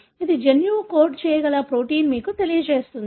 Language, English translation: Telugu, This tells you the protein that a gene can code for